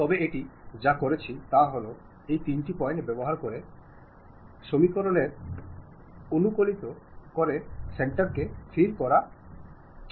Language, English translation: Bengali, But what it has done is using those three points optimize the equations to fix the center